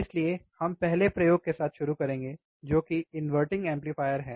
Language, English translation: Hindi, So, we will start with the first experiment, that is the inverting amplifier